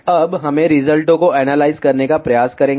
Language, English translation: Hindi, Now, we will try to analyze the results